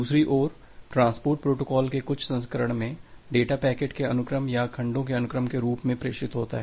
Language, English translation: Hindi, On the other hand in certain version of transport protocols, the data is transmitted in the form of sequence of packets or sequence of segments